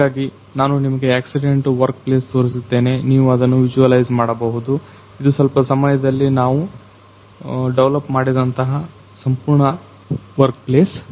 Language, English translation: Kannada, So, I am taking you through the accident workplace I am taking you into the workplace you can see visualize that, this is the complete workplace we have developed in a certain span of time